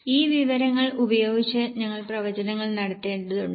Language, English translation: Malayalam, With this information we have to make projections